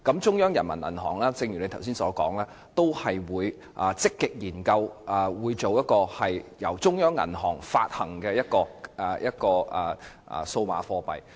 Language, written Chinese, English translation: Cantonese, 正如局長剛才所說，人民銀行也會積極研究一種由中央銀行發行的數碼貨幣。, As mentioned by the Secretary earlier PBoC will also proactively study the issuance of CBDC